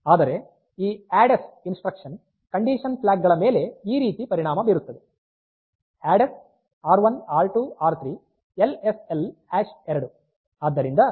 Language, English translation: Kannada, Whereas, this ADDS instruction, this will affect the condition flags like ADDS R1 R2 R3 LSL hash 2